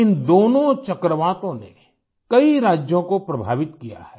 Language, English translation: Hindi, Both these cyclones affected a number of States